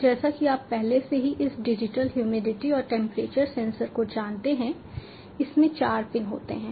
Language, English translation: Hindi, so as you already know, this digital humidity and temperature sensor, it has got four pins